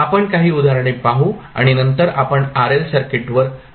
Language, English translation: Marathi, We will see some examples and then we will move onto rl circuit also